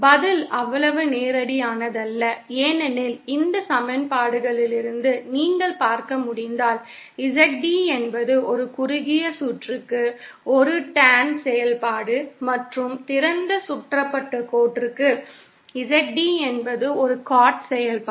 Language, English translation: Tamil, The answer is not so straightforward because as you can see from these equations, ZD is a tan function for a short circuited line and for an open circuited line, ZD is a cot function